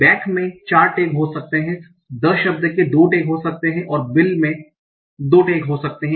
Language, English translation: Hindi, Back can have four tax, the can have two two tax and bill can have two tax